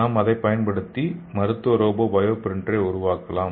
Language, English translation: Tamil, And here we can use that and make the clinical robotic bio printer